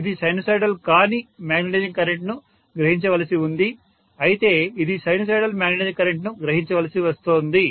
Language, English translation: Telugu, It is supposed to draw a non sinusoidal magnetizing current, but it is forced to draw sinusoidal magnetizing current